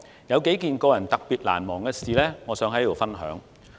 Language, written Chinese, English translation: Cantonese, 有幾件個人特別難忘的事，我想在此分享。, I want to share a few moments that are particularly memorable to me here